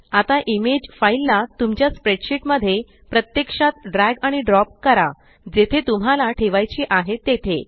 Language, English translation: Marathi, Now drag and drop the image file directly into your spreadsheet wherever you want to place it